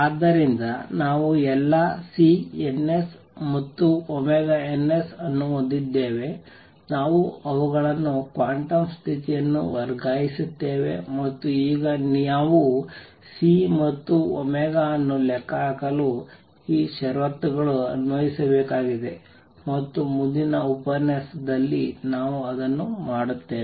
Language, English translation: Kannada, So, we have all the C ns and omegas, we have the quantum condition transfer them and now we need to apply these conditions to calculate C and omega which we will do in the next lecture